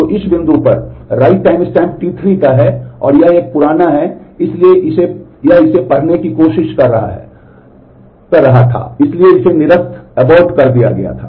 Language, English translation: Hindi, So, this at this point, the right timestamp is that of T 3 and this is an older one, so it was trying to read that, so this was aborted